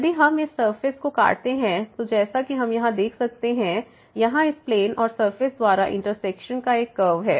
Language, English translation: Hindi, If we cut this surface, then we as we can see here there is a curve of intersection here by this plane and the surface